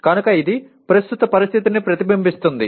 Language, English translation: Telugu, So that is what it reflects the present situation